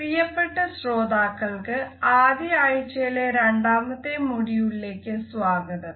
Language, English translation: Malayalam, Welcome dear participants to the second module of the first week